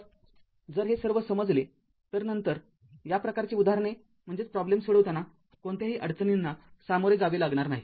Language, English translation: Marathi, Then if you understand all these then you will not face any difficulties of solving this kind of problem so